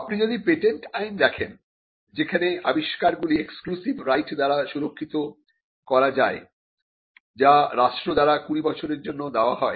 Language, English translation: Bengali, If we look at patent law, where inventions can be protected by way of an exclusive right that is granted by the state for a period of 20 years